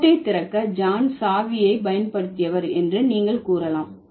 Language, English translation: Tamil, So, you can say John used the key to open the lock